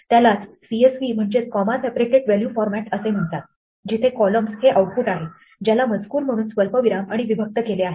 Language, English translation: Marathi, There is something called a comma separated value format CSV, where the columns are output separated by commas as text